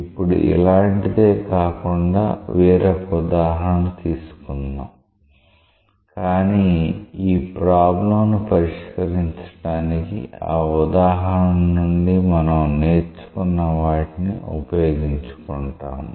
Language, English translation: Telugu, Now, to do that, let us take an example which is not the same example but we will utilize what we learn from that example to solve this problem